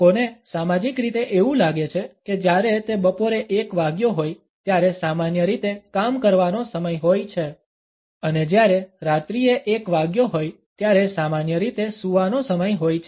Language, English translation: Gujarati, People have been socially conditioned to think that when it is1 PM it is normally the time to work and when it is 1 AM it is normally the time to sleep